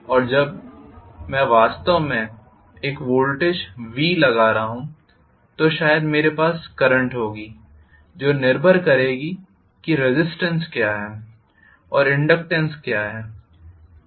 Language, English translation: Hindi, And when actually I am applying a voltage V, probably I will have a current i depending upon what is the resistance and what is the inductance